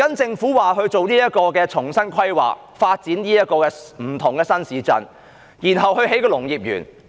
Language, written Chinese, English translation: Cantonese, 政府則表示即將進行重新規劃，發展不同的新市鎮，然後興建農業園。, The Government said that the areas would be planned afresh for developing various new towns and then for building agriculture parks